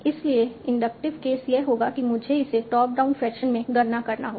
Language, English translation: Hindi, So inductive case would be I have to compute it in a top down fashion